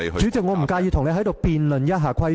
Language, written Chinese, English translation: Cantonese, 主席，我不介意與你在此辯論一下規程。, President I will be happy to debate with you the procedures for handling points of order here